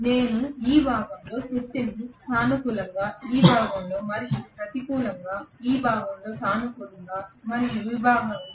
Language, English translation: Telugu, I am going to have the power positive during this portion, again negative during this portion, positive during this portion and negative during this portion